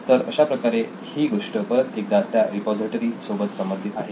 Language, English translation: Marathi, So this is again linked directly to the repository we are using